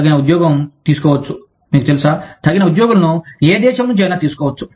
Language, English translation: Telugu, Suitable employment can be taken, you know, suitable employees can be taken, from any country